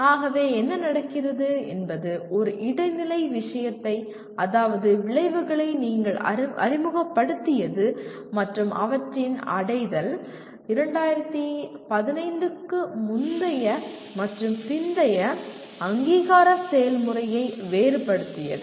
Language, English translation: Tamil, So what happens you introduced one intermediary thing called outcomes and their attainment which differentiated pre and post 2015 accreditation process